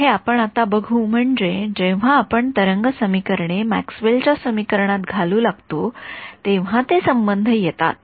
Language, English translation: Marathi, I mean when we start putting in Maxwell’s equation wave equations those relations will come